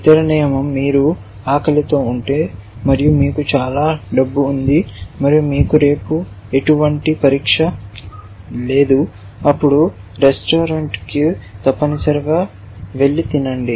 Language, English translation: Telugu, The other rule says if you are hungry and you have lots of money and you do not have any exam tomorrow then go out to a restaurant an eat essentially